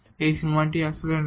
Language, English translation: Bengali, So, this limit in fact, does not exist